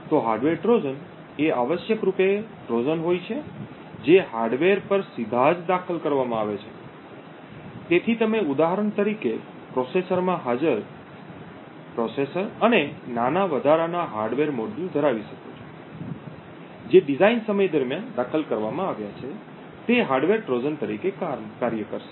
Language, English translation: Gujarati, hardware Trojans are essentially Trojans which are inserted right at the hardware, so you could for example have a processor and small additional hardware module present in the processor which is inserted at during the design time would act as a hardware Trojan